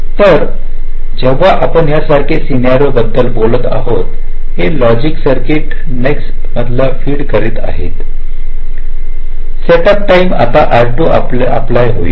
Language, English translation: Marathi, so here, when you are talking about a scenario like this, this logic circuit is feeding data to in next stage, so that setup time will apply to r two